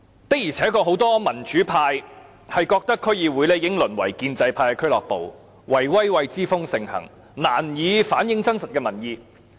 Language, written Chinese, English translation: Cantonese, 的而且確，很多民主派均認為區議會已淪為建制派的俱樂部，"圍威喂"之風盛行，難以反映真實的民意。, Without a doubt many democrats share the view that District Councils DCs have been reduced to a club for the pro - establishment camp in which the practice of cronyism is rampant . As a result they can hardly reflect public opinion truthfully